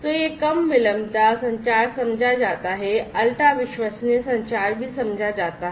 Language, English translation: Hindi, So, this low latency communication is understood, ultra reliable communication is also understood